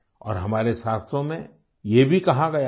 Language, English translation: Hindi, And this has been quoted in our scriptures too